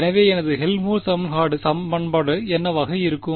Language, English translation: Tamil, So, what will my Helmholtz equation be